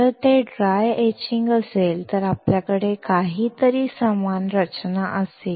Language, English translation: Marathi, If it is dry etching, we will have something similar structure